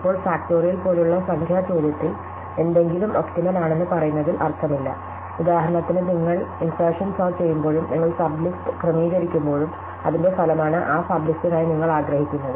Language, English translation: Malayalam, Now, in numerical question like factorial, it does not make sense to say something is optimal, but for example, when you doing insertion sort and certainly when you sort the sub list, the result of that is what you want for that sub list